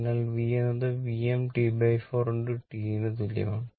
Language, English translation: Malayalam, So, v is equal to V m T by 4 into T right